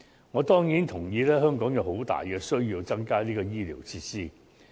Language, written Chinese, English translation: Cantonese, 我當然同意，香港有很大的需要增加醫療設施。, I certainly agree that there is a great need for more medical facilities in Hong Kong